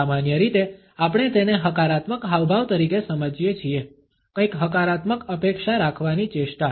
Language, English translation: Gujarati, Normally we can understand it as a positive gesture, a gesture of expecting something positively